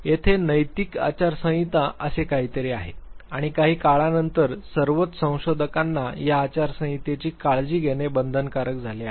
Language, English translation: Marathi, There is something called the ethical code of conduct and over a period of time it has become mandatory for all researchers to take care of these ethical code of conduct